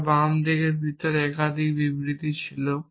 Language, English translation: Bengali, If my left inside had more than one statements